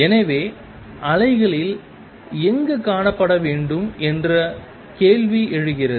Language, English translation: Tamil, So, question arises where in the wave is the particle to be found